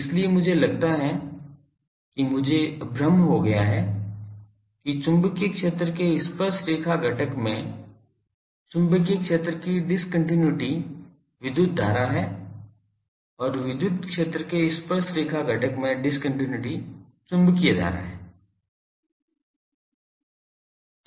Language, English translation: Hindi, So, I think I got confused that magnetic field discontinuity in the tangential component of the magnetic field is electric current, and the discontinuity in the tangential component of the electric field is magnetic current